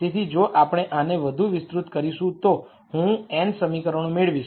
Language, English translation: Gujarati, So, if we expand this further I am going to get n equations